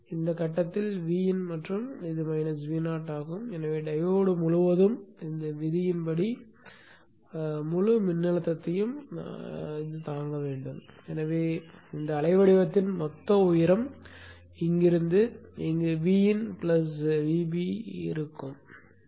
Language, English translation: Tamil, VIN at this point and this is minus V0 so the diode has to withstand the entire voltage which appears across this loop so this whole height of this waveform from here to here is V in plus V0